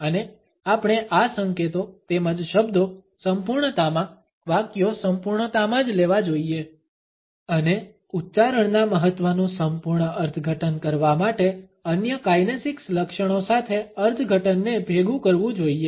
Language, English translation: Gujarati, And we must consider these signals as well as the words in totality, the sentences in totality, and combine the interpretation with other kinesics features to fully interpret the significance of an utterance